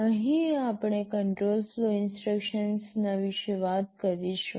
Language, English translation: Gujarati, Here we shall be talking about the control flow instructions